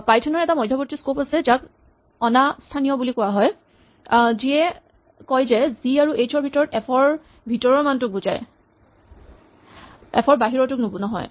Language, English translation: Assamese, Python has an intermediate scope called non local which says within g and h refer to the value inside f, but not to the value outside f